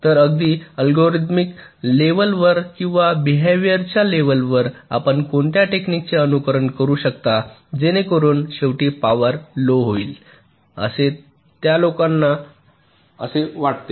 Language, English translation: Marathi, so, even at an algorithmic level or a behavior level, what are the techniques that you can follow that will ultimately result in a reduction in power